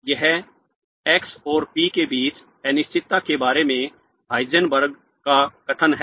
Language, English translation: Hindi, This is the Heisenberg's statement about the uncertainty between x and p